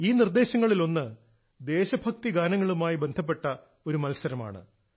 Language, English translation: Malayalam, One of these suggestions is of a competition on patriotic songs